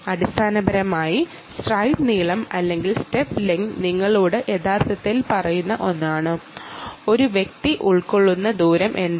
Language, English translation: Malayalam, good, essentially the stride length or step length is the one that actually tells you what is the distance that was covered by an individual